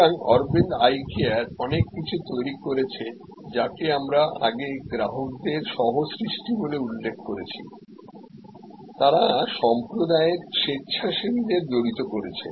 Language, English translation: Bengali, So, Aravind eye care has created a lot of what we called earlier customer co creation, they have involved volunteers from community